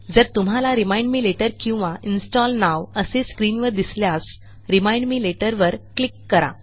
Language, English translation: Marathi, If you get a screen saying Remind me later or Install now, click on Remind me later